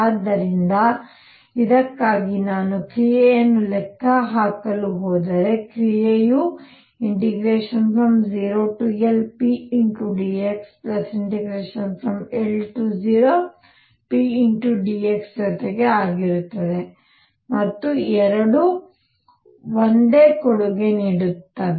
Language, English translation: Kannada, So, if I go to calculate the action for this, action will be 0 to L p dx plus L to 0 p dx and both will contribute the same